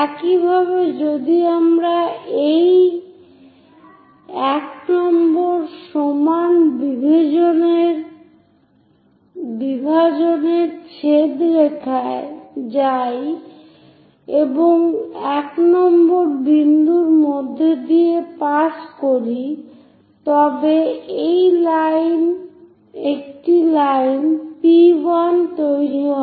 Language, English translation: Bengali, Similarly, if we are going the intersection line of this 1 equal division and a line which is passing through 1 point that is also going to make a point P1